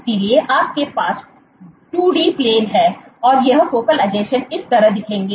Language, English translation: Hindi, So, you have a 2D plane and these focal adhesions would look like this